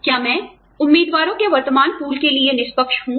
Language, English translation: Hindi, Am i being fair, to the current pool of candidates